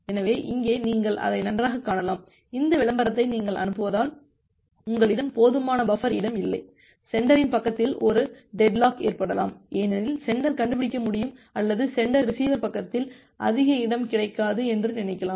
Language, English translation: Tamil, So, here you can see that well, it may it may sometime happen that that because of you are sending this advertisement that that you have do not you do not have any sufficient buffer space, there is a possible possible deadlock at the sender side, because the sender can find out or sender can thinks of that no more space is available at the receiver side